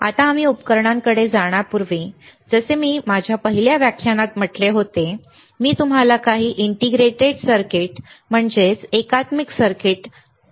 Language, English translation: Marathi, Now, before we go to the equipment, like I said in my first lecture, I have shown you few integrated circuits, isn't it